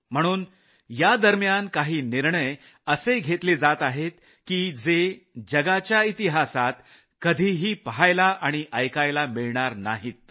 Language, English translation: Marathi, Hence the decisions being taken during this time are unheard of in the history of the world